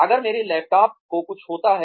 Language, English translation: Hindi, If something happens to my laptop